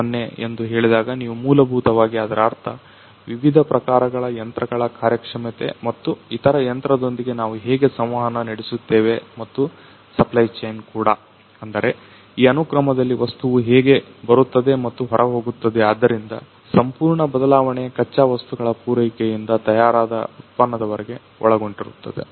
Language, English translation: Kannada, 0 you essentially means that you know the performance of the different types of these you know that the machines and also how do we interact with the other machine, and also the supply chain line; that means, how the you know in this sequence the material’s coming up and going out so with the entire change starting from the include the raw material supply to the finished product